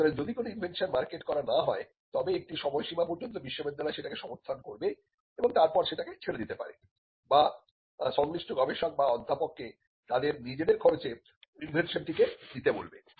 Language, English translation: Bengali, So, if an invention has not been marketed there is a time period until which the university will support the invention and beyond that the university may abandon it or it would ask the concerned researcher or the processor to take the invention at their own cost